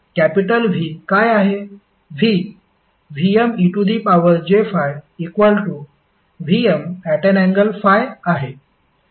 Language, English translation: Marathi, What is capital V